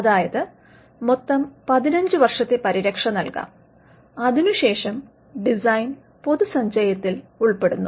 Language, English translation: Malayalam, So, there can be a total protection of 15 years, and after which the design falls into the public domain